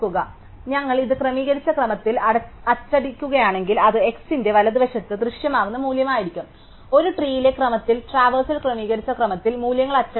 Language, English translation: Malayalam, So, if we print it out in sorted order, it will be the value that would appear to the right of x and the in order traversal of a tree prints out the values in sorted order